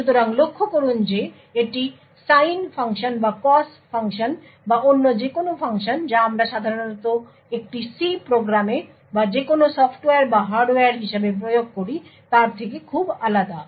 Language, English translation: Bengali, So, note that this is very different from any other function like the sine function or cos function or any other functions that we typically implement as a C program or any software or hardware